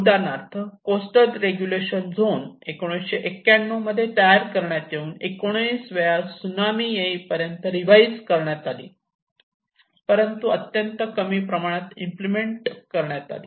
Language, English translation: Marathi, For example, the coastal regulation zone which was formed in 1991 and revised 19 times until the tsunami have struck